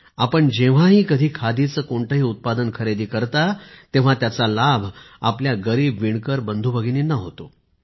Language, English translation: Marathi, Whenever, wherever you purchase a Khadi product, it does benefit our poor weaver brothers and sisters